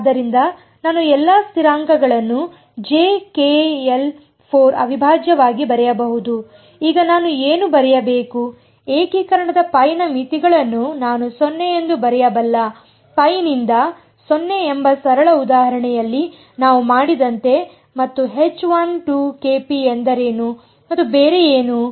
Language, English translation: Kannada, So, I can write all the constants out j k by 4 integral, now what should I write, what can I will write the limits of integration as pi to 0 as we did in the simple example pi to 0 and what is H 1 2 k rho and what else